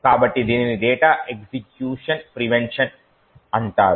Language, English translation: Telugu, So, this is called the data execution prevention